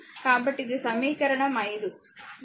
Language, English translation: Telugu, So, this is equation 5, right